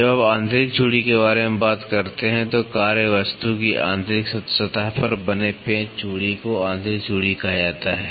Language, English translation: Hindi, When you talk about internal threads, the screw thread formed on the internal surface of the work piece is called as internal thread